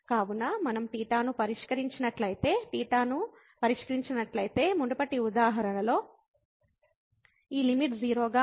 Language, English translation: Telugu, So, if we fix theta, if we fix theta, then again like in the previous example this limit is 0